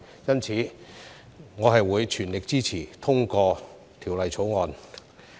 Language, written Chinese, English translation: Cantonese, 因此，我會全力支持通過《條例草案》。, Therefore I will fully support the passage of the Bill